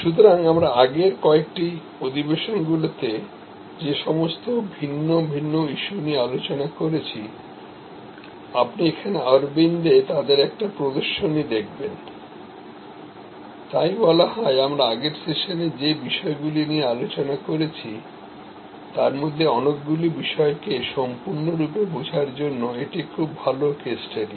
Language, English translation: Bengali, So, all the different issues that we have talked about in some of the previous sessions, you see a display here at Aravind, so it is say, very good case study to fully understand many of the issues that we have discussed in the previous sessions